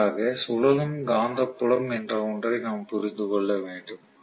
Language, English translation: Tamil, For that we will have to understand something called revolving magnetic field